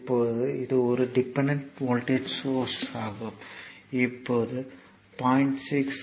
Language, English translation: Tamil, Now this is a dependent voltage source, now you see that this is 0